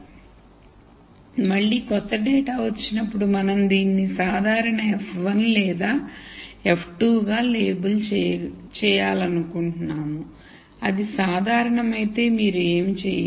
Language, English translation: Telugu, So, again when a new data comes in we want to label this as either normal f 1 or f 2 if it is normal, you do not do anything